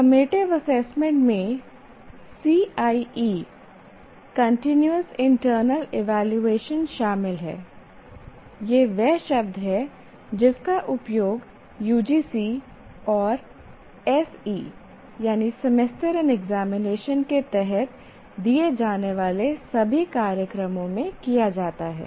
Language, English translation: Hindi, So, what happens is your summative assessment consists of presently what we call CIE continuous internal evaluation, that is the term that is used for all courses, all programs offered under UGC and SE semester and examination